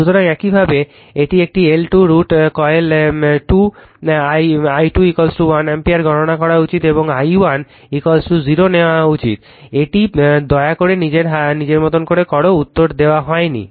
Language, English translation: Bengali, So, similarly you should compute this one L 2 M 1 2 by exciting coil 2 i 2 is equal to 1 ampere and take i 1 is equal to 0, this you please do it of your own right, answers are not given